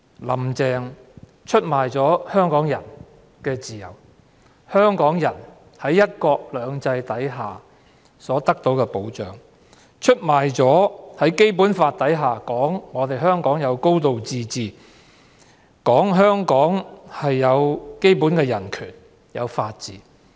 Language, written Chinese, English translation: Cantonese, "林鄭"出賣了香港人的自由、在"一國兩制"下所得到的保障，也出賣了香港在《基本法》下享有的"高度自治"、基本人權和法治。, Carrie LAM has betrayed Hong Kong people by giving away our freedom our protection under one country two systems as well as a high degree of autonomy basic human rights and the rule of law which Hong Kong are entitled to under the Basic Law . Under the leadership of Carrie LAM everything is under the rule of the Communist Party of China